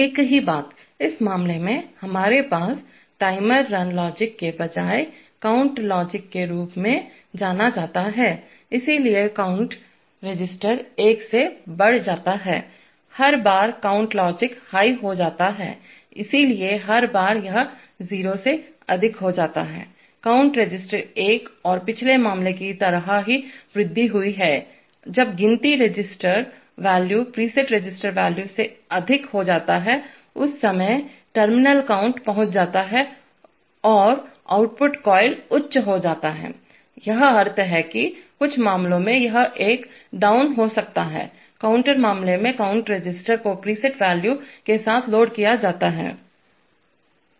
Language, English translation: Hindi, Same thing, in this case we have what is known as a count logic rather than a timer run logic, so the count register is incremented by one, every time count logic goes high, so every time this goes high from 0, the count register is incremented by one and just like the previous case, when the count register value exceeds the preset register value, at that time the terminal count is reached and the output coil goes high, this is the meaning, in some cases it may be a Down counter in which case the count register may be loaded with a preset register value